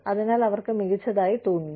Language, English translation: Malayalam, So, they feel great